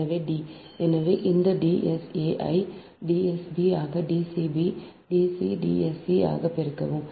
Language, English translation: Tamil, so multiply this d s a into d s b into d c, d s c